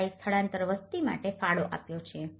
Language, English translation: Gujarati, 3% have contributed for the migrant population